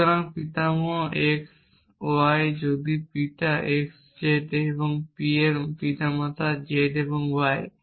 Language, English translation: Bengali, So, grandfather x y if father x z and p stands for parent z y